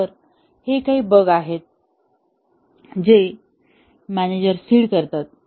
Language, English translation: Marathi, So, these are some of the bugs that the manager seeds